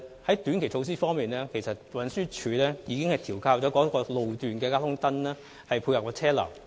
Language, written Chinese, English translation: Cantonese, 在短期措施方面，運輸署已調校該路段的交通燈以配合車流。, On short - term measures TD has adjusted the traffic lights at that road section to tie in with vehicular flow